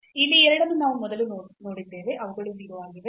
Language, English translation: Kannada, So, these two here we have just seen before that they are 0